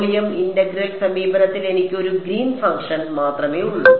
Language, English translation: Malayalam, In the volume integral approach I have just one Green’s function alright ok